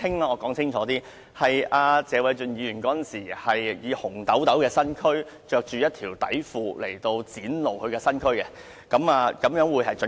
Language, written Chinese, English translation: Cantonese, 我澄清：謝偉俊議員當時穿着一條內褲，展露他雄赳赳的身軀，這個表述較為準確。, I now clarify Mr Paul TSE was then wearing underpants when he showed his strong masculine body . This is a more accurate statement